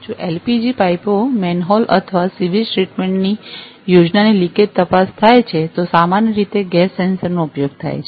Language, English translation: Gujarati, If leakage detection of LPG pipes, manhole or sewage treatments plans, gas sensors are commonly used